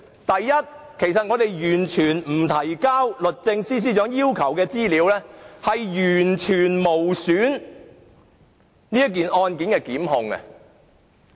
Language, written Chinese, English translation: Cantonese, 第一，不提交律政司要求的資料，完全無阻本案的檢控工作。, First non - compliance with DoJs request for information will not hinder the prosecution work of the case in question at all